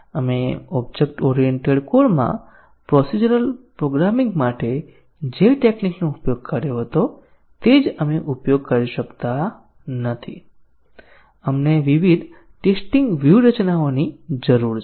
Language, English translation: Gujarati, We cannot just use the same techniques we used for procedural programming in object oriented code, we need different testing strategies